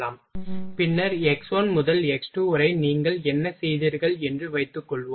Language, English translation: Tamil, Then after suppose that here from x1 to x2 whatever you have done